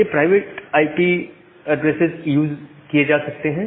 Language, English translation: Hindi, Now, this private IP addresses can be reusable